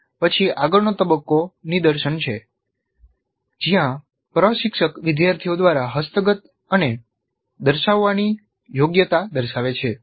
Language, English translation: Gujarati, The next phase is demonstration where the instructor demonstrates the competency that is to be acquired and demonstrated by the students